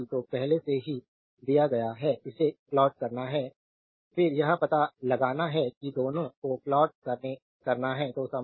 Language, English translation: Hindi, Qt is already given only it you have to plot it you have to find out then plot both right